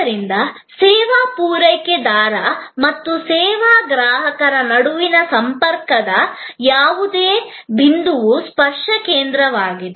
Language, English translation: Kannada, So, any point of the contact, between the service provider and the service consumer is a touch point